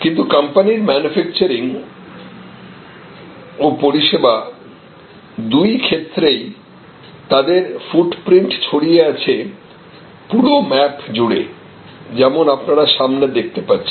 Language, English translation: Bengali, Now, but the companies footprint for both manufacturing and service, services are spread over the whole map as you see in front of you